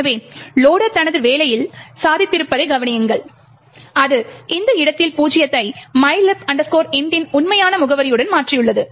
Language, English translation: Tamil, So, notice that the loader has achieved on his job, it has replaced zero in this location with the actual address of mylib int